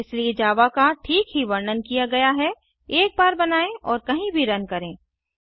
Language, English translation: Hindi, Hence, java is rightly described as write once, run anywhere